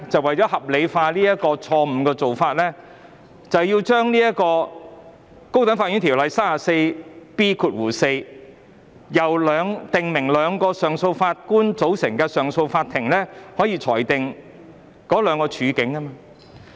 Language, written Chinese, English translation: Cantonese, 為合理化有關的錯誤做法，政府便提出修訂《條例》第 34B4 條，訂明由兩名上訴法官組成的上訴法庭亦可以裁定兩種案件。, In order to rationalize the relevant erroneous practice the Government proposes to amend section 34B4 of the Ordinance to stipulate that a Court of Appeal constituted by two Justices of Appeal may also determine two types of cases